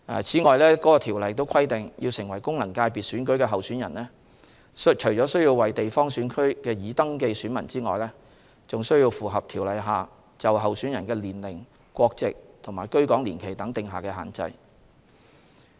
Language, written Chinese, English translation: Cantonese, 此外，該條例亦規定，要成為功能界別選舉的候選人，除了需要為地方選區的已登記選民外，還須符合條例下就候選人的年齡、國籍、居港年期等定下的限制。, Besides the provision also stipulates that in order for a person to become a candidate in an election for an FC heshe in addition to being a registered geographical constituency elector must satisfy the restrictions on age nationality and year of residence in Hong Kong for candidates as laid down in the provision